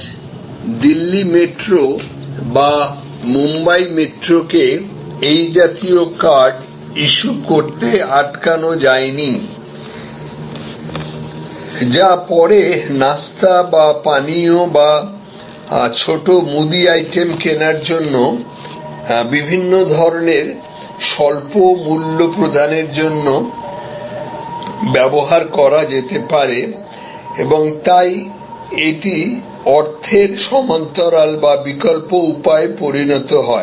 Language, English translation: Bengali, Today, nothing stops Delhi Metro or Bombay Metro to issue such cards, which can then be used for different kinds of small value payments for buying snacks or drinks or small grocery items and so it becomes a parallel or an alternate firm of payment